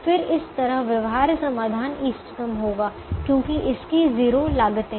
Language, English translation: Hindi, then such a feasible solution will be optimum because it will have zero cost